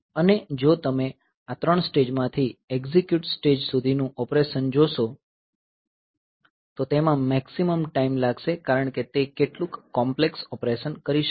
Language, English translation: Gujarati, And, if you look into the operations that we have outer out of these three stages to the execute stage it will take the maximum amount of time because it may be doing some complex operation